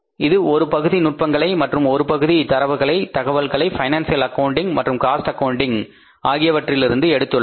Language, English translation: Tamil, Partly they it borrows the techniques and partly it borrows the data, the information which is provided by the financial accounting and which is provided by the cost accounting